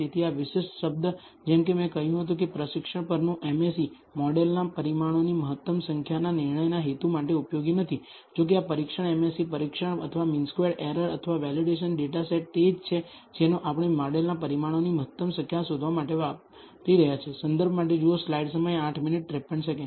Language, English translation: Gujarati, So, this particular term as I said the MSE on training is not useful for the purpose of deciding on the optimal number of parameters of the model; however, this test MSE test or the mean squared error or the validation data set is the one that we are going use for finding the optimal number of parameters of the model